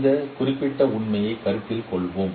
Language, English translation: Tamil, Let us take this particular example